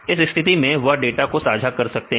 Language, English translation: Hindi, So, in this case they can share the data